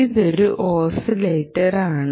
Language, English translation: Malayalam, ah, ok, this is an oscillator